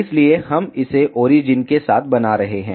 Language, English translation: Hindi, So, we are making it along the origin